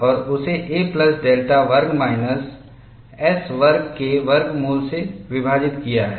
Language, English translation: Hindi, You integrate a to a plus delta 1 by square root of a plus delta square minus s square into ds